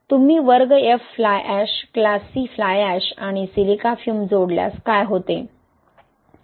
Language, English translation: Marathi, What happens when you add class F Fly ash, class C Fly ash and Silica fume